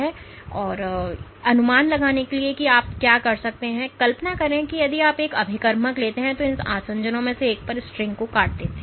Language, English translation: Hindi, So, in order to estimate this what you can do is imagine if you take a reagent which cleaves the string at one of these adhesions